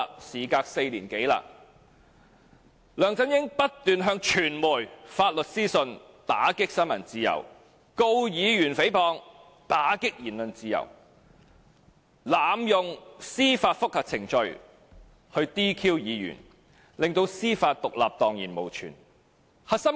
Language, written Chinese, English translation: Cantonese, "事隔4年多，梁振英不斷向傳媒發出律師信，打擊新聞自由；控告議員誹謗，打擊言論自由；濫用司法覆核程序 "DQ" 議員，令司法獨立蕩然無存。, Some four years down the line LEUNG Chun - ying has incessantly issued litigation letters to media to curb the freedom of press; he has sued a Member for defamation to curb the freedom of speech; he has abused the judicial review procedure to seek disqualification of Members obliterating judicial independence